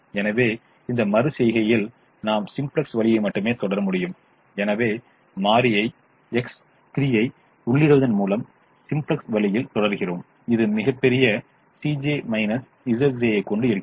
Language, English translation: Tamil, so in this iteration we can proceed only the simplex way and therefore we proceed in the simplex way by entering variable x three which has the largest c j minus z j